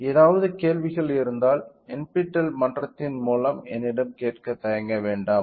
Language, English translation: Tamil, Any questions feel free to ask me in through the NPTEL forum